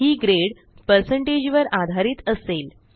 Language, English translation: Marathi, This is done based on the score percentage